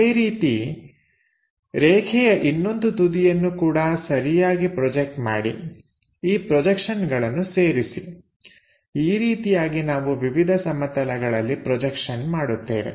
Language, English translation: Kannada, Similarly, the other end of the line also projected suitably connect these projections; that is the way we will be in a position to join the projections onto different planes